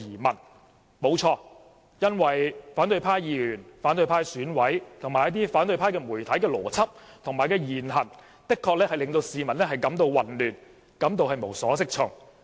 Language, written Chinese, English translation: Cantonese, 沒錯，因為反對派的議員、選委及一些媒體的邏輯和言行，的確令市民感到混亂及無所適從。, He is right because the logic and behaviour of the opposition Members some of the EC members and the media have really confused and baffled the people